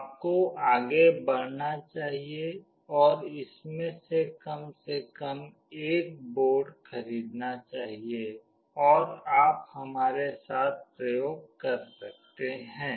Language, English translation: Hindi, You should go ahead and purchase at least one of these boards and you can do the experiments along with us